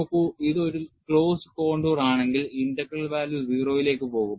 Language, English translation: Malayalam, See, if it is a closed contour, then, the integral value will go to 0